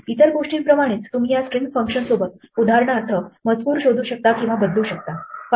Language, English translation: Marathi, Among other things, what you can do with these string functions is for example, search for text or search and replace it